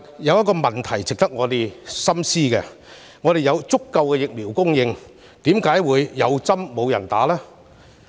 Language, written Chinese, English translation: Cantonese, 有一個問題值得我們深思：既然香港有足夠疫苗供應，為何會"有針無人打"？, A question worthy of our consideration is Why do some people refuse to get vaccinated despite the adequate supply of vaccines in Hong Kong?